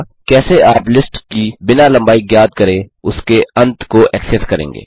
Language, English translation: Hindi, How would you access the end of a list without finding its length